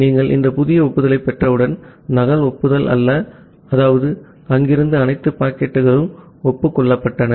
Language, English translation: Tamil, And once you are receiving this new acknowledgement, not a duplicate acknowledgement that means, all the packets that was there, that have been acknowledged